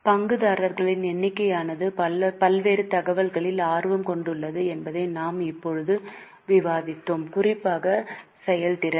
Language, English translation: Tamil, We have just discussed this that number of stakeholders have interest in variety of information, particularly for example performance